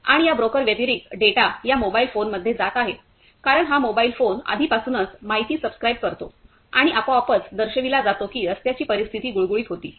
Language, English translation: Marathi, And apart from the from these broker the data is given a data is going into this mobile phone because this mobile phone already subscribe the information and it is automatically shows that the road conditions that was the smooth